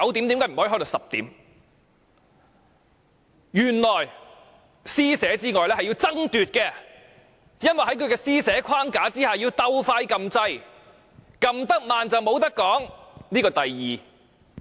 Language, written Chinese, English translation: Cantonese, 原來除施捨之外還要爭奪，因為在他施捨的框架之下，還須搶先按下按鈕，按得慢的便沒有機會發言了。, For within his framework of mercy Members have to compete for priority in pressing the Request to speak button and the slower ones will not have the chance to speak